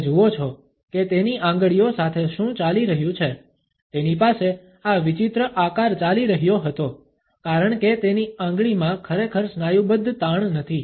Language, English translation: Gujarati, You see what is going on with his fingers he had this weird shape going on because there is not any really muscular tension going on in his finger